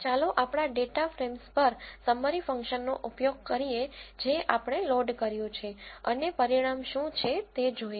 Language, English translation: Gujarati, Let us use the summary function on our data frames which we have loaded and see what the results are